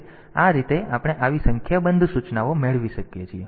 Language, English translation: Gujarati, So, this way we can have a number of such instructions